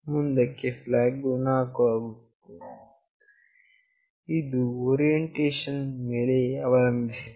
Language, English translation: Kannada, In the next, flag is 4 depending on the orientation